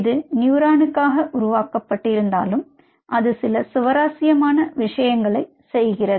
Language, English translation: Tamil, crazily though it was made for neuron, but it does some very interesting stuff